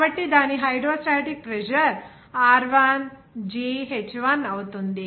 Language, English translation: Telugu, So, its hydrostatic pressure will be Rho1 gh1